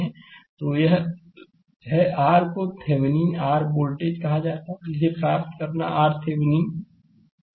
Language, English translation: Hindi, So, that is your what you call the Thevenin your voltage that that you have to learn how to obtain and R Thevenin